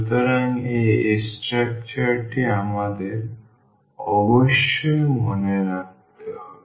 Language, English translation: Bengali, So, this structure we must keep in mind